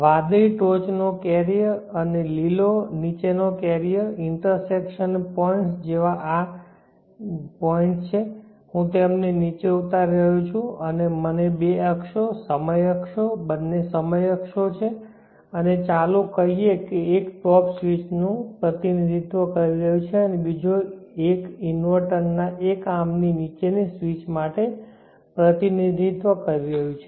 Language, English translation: Gujarati, The blue the top carrier and the green the bottom carrier the intersection points are like this and dropping them down and let me have two axes time axes both are time axes and let say one is representing for the top space and other is representing for the bottom space of one or more inverter so let us say this is the A of the inverter the top switch the bottom switch